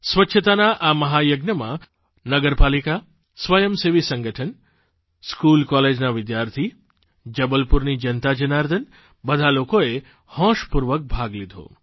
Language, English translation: Gujarati, In this 'Mahayagya', grand undertaking, the Municipal Corporation, voluntary bodies, School College students, the people of Jabalpur; in fact everyone participated with enthusiasm & Zest